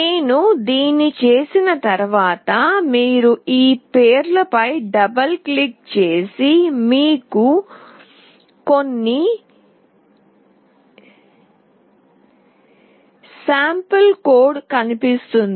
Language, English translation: Telugu, Once I do this you double click on this name, and you see some sample code